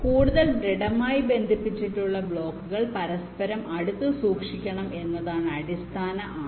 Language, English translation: Malayalam, the blocks which are more heavily connected, they should be kept closer together